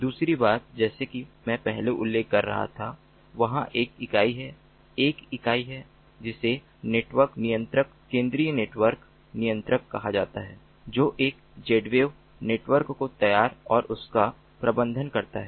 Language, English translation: Hindi, the second thing is, as i was mentioning earlier, there is an entity, a single entity, called the network controller, the central network controller, that sets up and manages a z wave network